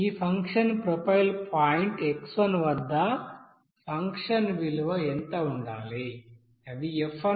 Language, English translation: Telugu, So at this function profile at point x1 what should be the function value it is f1